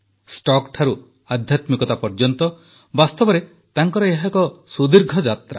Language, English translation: Odia, From stocks to spirituality, it has truly been a long journey for him